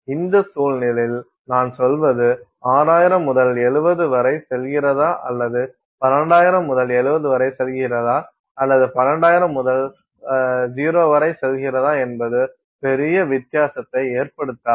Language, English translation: Tamil, I mean in this context I mean it is going to be roughly the same whether you go from 6,000 to 70 or you go I mean you whether you go from 12,000 to 70 or you go to 12,000 to 0 does not make a big difference